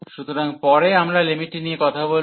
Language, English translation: Bengali, So, later on we will be going taking on the limit